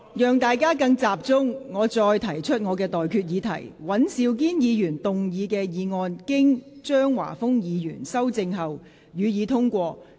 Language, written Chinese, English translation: Cantonese, 我提醒各位，現在的待決議題是：尹兆堅議員動議的議案，經張華峰議員修正後，予以通過。, Let me remind Members that the question now put is That the motion moved by Mr Andrew WAN as amended by Mr Christopher CHEUNG be passed